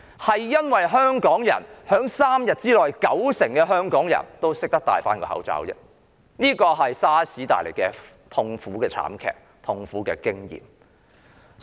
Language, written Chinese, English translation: Cantonese, 反而，是因為香港人 ——3 天內有九成香港人——佩戴口罩而已，這是由於 SARS 慘劇所帶來的痛苦經驗所致。, Instead all is because Hong Kong people―90 % of Hong Kong people―began to put on a face mask within three days . This was a result of their bitter experience with the tragic SARS outbreak